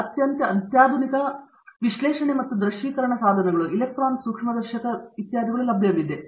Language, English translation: Kannada, And there are extremely sophisticated analysis and visualization tools, electron microscopy etcetera that have now become available